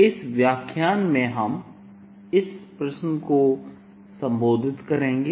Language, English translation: Hindi, in this lecture we address this question